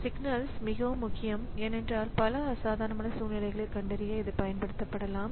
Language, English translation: Tamil, So, signals are very important because it can be used to capture many abnormal situations